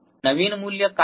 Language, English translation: Marathi, What is the new value